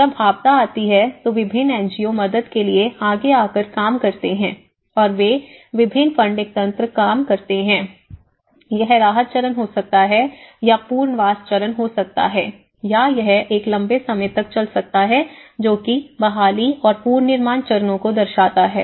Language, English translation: Hindi, When the disaster strikes different NGOs comes forward for a helping hand and they work on you know, different funding mechanisms and it could be a relief stage, it could be a rehabilitation stage or it could be in a long run it will take up to the recovery and reconstruction stages